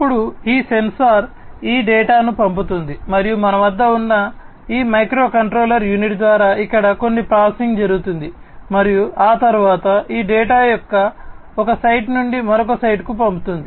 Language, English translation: Telugu, So, this sensing is done over here by this sensor and in then this sensor sends this data and some processing is done over here by this microcontroller unit that we have and thereafter this data is sent from one site to another site